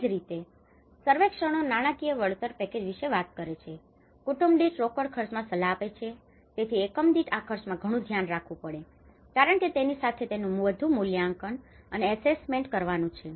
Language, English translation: Gujarati, Similarly, the surveyors talk about financial compensation package, advise in the breakdown of cash costs per family, so per unit this much cost, this much one has to look at because there is more to do with evaluation, there is more to the assessment